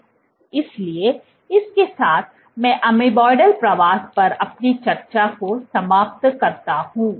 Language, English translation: Hindi, So, with that I end our discussion on amoeboidal migration